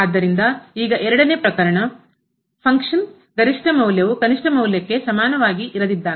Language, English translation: Kannada, So, now the second case when the maximum value of the function is not equal to the minimum value of the function